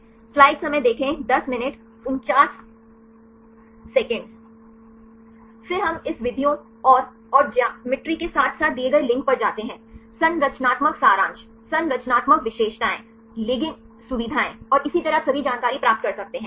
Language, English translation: Hindi, Then we go with this the methods the and the and the geometry right as well as the given links; the structural summary, structural features, ligand features and so on this you can get all the information right